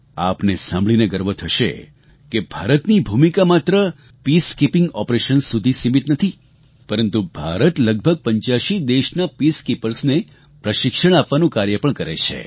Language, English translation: Gujarati, You will surely feel proud to know that India's contribution is not limited to just peacekeeping operations but it is also providing training to peacekeepers from about eighty five countries